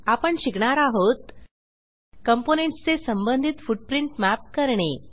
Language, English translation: Marathi, Now we will map the components with their associated footprints